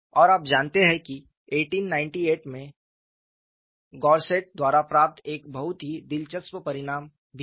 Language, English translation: Hindi, And you know there was also a very interesting result obtained by Goursat in 1898